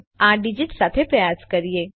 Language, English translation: Gujarati, Let us try this with a digit